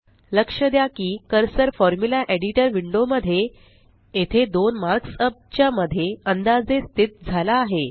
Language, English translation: Marathi, Notice that the cursor in the Formula Editor Window is placed roughly between the two matrix mark ups here